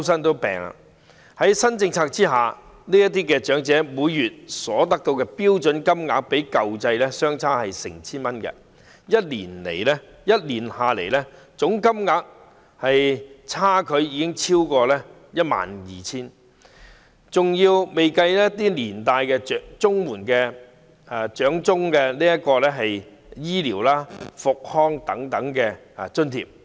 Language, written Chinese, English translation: Cantonese, 在新政策下，這些長者每月所獲發的標準金額較舊制相差 1,000 元；一年下來，總金額便相差逾 12,000 元，這還未計算長者綜援附帶的一些醫療和復康等津貼。, The monthly standard rate payment received by the elderly under the new policy is 1,000 less than that under the old scheme . The total difference is 12,000 a year excluding such grants for health care rehabilitation etc . attached to elderly CSSA